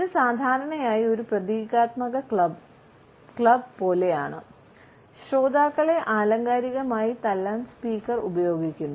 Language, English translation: Malayalam, It is normally like a symbolic club, which the speaker is using to figuratively beat the listeners